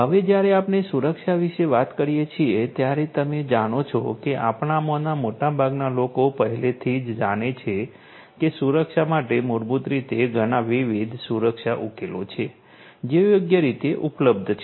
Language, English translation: Gujarati, Now you know when we talk about security, as most of us already know that security basically there are lot of different security solutions that are available right